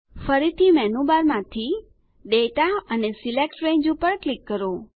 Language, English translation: Gujarati, Again, from the Menu bar, click Data and Select Range